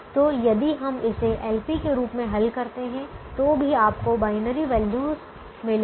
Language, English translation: Hindi, so if we solve it as a l p, you will get still get binary values